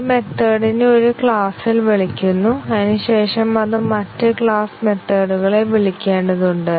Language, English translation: Malayalam, A method is called on one class and then it needs to call other class methods